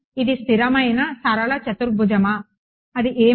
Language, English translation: Telugu, Is it constant linear quadratic what is it